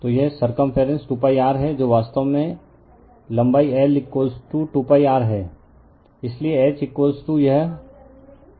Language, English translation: Hindi, So, it is circumference is 2 pi r that is actually length l is equal to 2 pi r